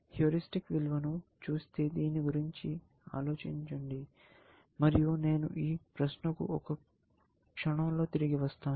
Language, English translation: Telugu, Looking at the heuristic values; just think about this, I will come back to this question in a moment